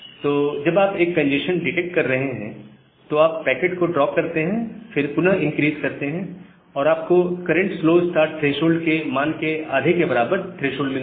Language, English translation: Hindi, Whenever you are detecting a congestion, you drop the packet, again increase and meet the threshold to half of the current slow start threshold